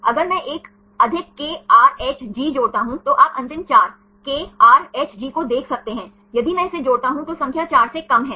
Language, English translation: Hindi, 3 then add next one if I add 1 more KRHG right you can see the last 4 one KRHG right if I add this then the number is down less than four